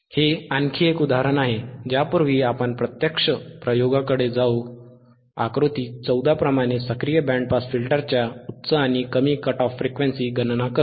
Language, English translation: Marathi, This is one more example, before which we will go to the actual experiment, is band pass filter if calculate higher and lower cut off frequencies of active band pass filter, right